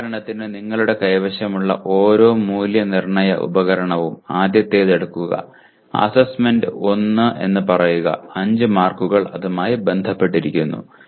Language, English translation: Malayalam, For example each one, each assessment instrument that you have let us say take the first one, assignment 1 there are 5 marks associated